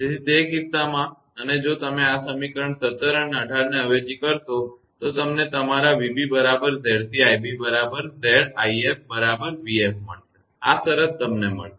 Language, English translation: Gujarati, So, in that case and if you substitute this equation 17 and 18 you will get your v b is equal to Z c into your i b is equal to Z into i f is equal to v f right this condition you will get